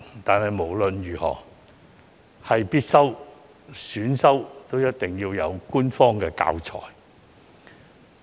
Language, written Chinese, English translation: Cantonese, 但是，無論是必修科或選修科，通識科都一定要有官方教材。, However there should be official teaching materials for the subject of LS be it a compulsory or an elective subject